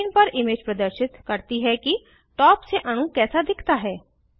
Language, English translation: Hindi, The image on the screen shows how the molecule looks from the top